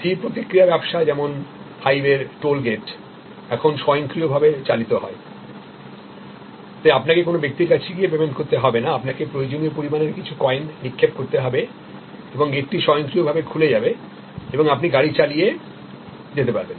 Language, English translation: Bengali, So, fixed response system like say toll gate at various, on high ways are now automated, so you do not have to go and pay to a person, you throw some coins of the requisite amount and the gate automatically opens and you drive through